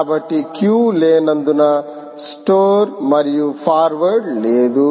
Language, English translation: Telugu, so because there are no queues, store and forward is not there